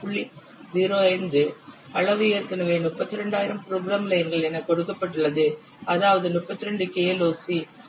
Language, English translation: Tamil, 05 the size is already given 32,000 lines of code that means 32 KLOC so effort can be estimated as 2